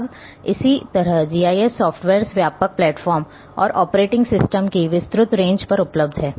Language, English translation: Hindi, Now, similarly like GIS softwares are available again on wide range of platforms and wide range of operating system